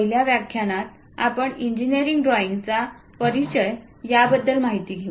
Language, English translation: Marathi, In the 1st lecture, we are going to cover introduction to engineering drawing